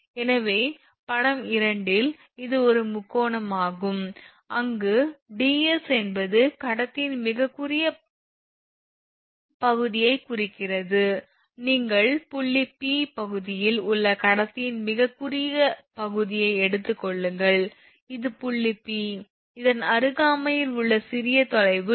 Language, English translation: Tamil, So, that is why now this is your figure 2, so, in figure 2, it is a triangle where ds represents a very short portion of the conductor, you take a very short portion of the conductor in the region of point P, now this is your this is your point P that the, I mean in the vicinity of this one if you consider that your what you call small distance ds